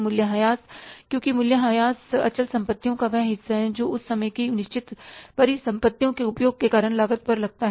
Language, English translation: Hindi, Depreciation because depreciation is that part of the fixed assets which is say the cost because of the use of the fixed assets for that given period of time